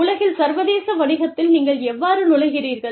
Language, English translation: Tamil, How do you enter, in to international business, in the world